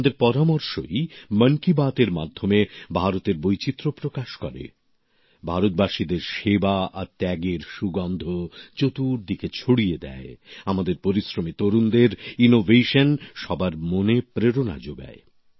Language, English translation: Bengali, It is your suggestions, through 'Mann Ki Baat', that express the diversity of India, spread the fragrance of service and sacrifice of Indians in all the four directions, inspire one and all through the innovation of our toiling youth